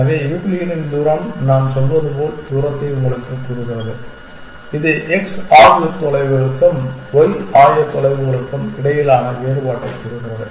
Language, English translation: Tamil, So, the Euclidean distance is telling you the distance as we say as this is telling you a difference between the x coordinates and the difference between the y coordinates